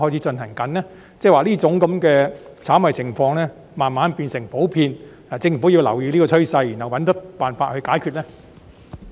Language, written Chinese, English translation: Cantonese, 即是說，這種炒賣行為是否逐漸變得普遍，政府因而要留意這個趨勢，然後設法解決呢？, In other words are speculative activities becoming common so much so that the Government should pay attention to this trend and strive to tackle it?